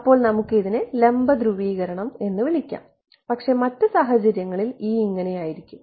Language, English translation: Malayalam, So we will call this perpendicular polarization right, but and the other case E will be like this